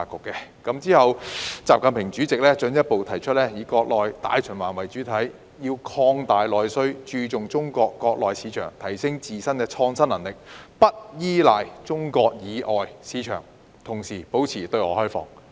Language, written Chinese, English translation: Cantonese, 其後，習近平主席進一步提出，以國內大循環為主體，要擴大內需，注重中國國內市場，提升自身創新能力，不依賴中國以外市場，同時保持對外開放。, Subsequently President XI Jinping further proposed to take the domestic market as the mainstay by expanding domestic demand focusing on Chinas domestic market enhancing our own innovation capabilities and refraining from relying on the markets outside China while remaining open to the outside world